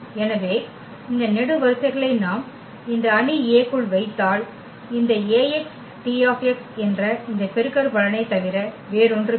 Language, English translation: Tamil, So, these columns if we put into this matrix A then this Ax will be nothing but exactly this product which is the T x